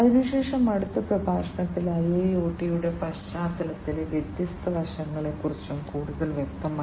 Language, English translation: Malayalam, And thereafter, in the next lecture about you know the different aspects in the context of IIoT as well more specifically